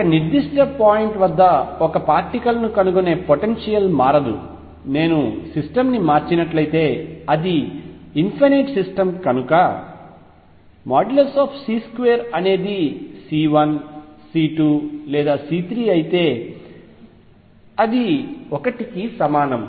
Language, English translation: Telugu, Probability of finding a particle at a particular point should remain unchanged, if I shift the system because is it is infinite system and therefore, mod c square whether it is C 1